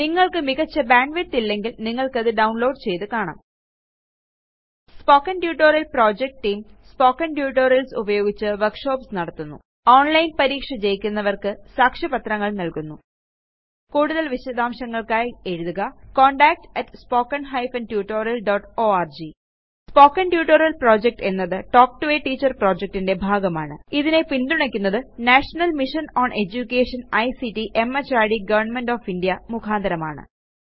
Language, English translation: Malayalam, Watch the video available at the following link It summarises the Spoken Tutorial project If you do not have good bandwidth, you can download and watch it The Spoken Tutorial Project Team Conducts workshops using spoken tutorials Gives certificates for those who pass an online test For more details, please write to contact at spoken hypen tutorial dot org Spoken Tutorial Project is a part of the Talk to a Teacher project It is supported by the National Mission on Education through ICT, MHRD, Government of India More information on this Mission is available at spoken hypen tutorial dot org slash NMEICT hypen Intro This tutorial has been contributed by ..............................